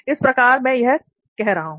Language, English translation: Hindi, That is how I am doing